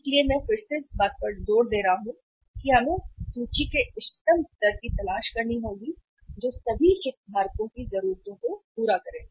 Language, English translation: Hindi, So I am time and again emphasizing upon that we have to look for the optimum level of inventory which serves the needs of all the stakeholders